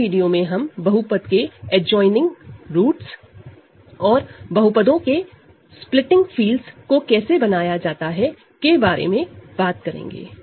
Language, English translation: Hindi, In the next video, we are going to talk about adjoining roots of a polynomial, and how to construct splitting fields of polynomials